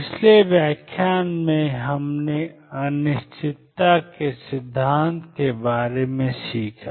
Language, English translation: Hindi, In the previous lecture we have learned about uncertainty principle